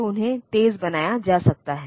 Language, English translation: Hindi, So, they can be made faster